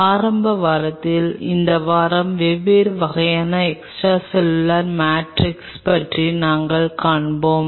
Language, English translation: Tamil, This week in the initial part we will be covering about the different kind of extracellular matrix